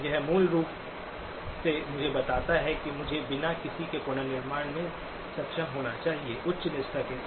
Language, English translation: Hindi, This basically tells me that I should be able to reconstruct without any; with the high fidelity